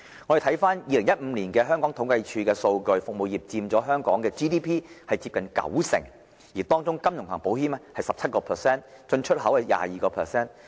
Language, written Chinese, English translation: Cantonese, 根據2015年香港政府統計處的數據，服務業佔香港 GDP 接近九成，當中金融及保險佔 17%， 進出口貿易佔 22%。, According to the statistics of the Census and Statistics Department of Hong Kong in 2015 the service sector accounted for nearly 90 % of Hong Kongs GDP among which the finance and insurance industry made up 17 % and the importexport industry took up 22 %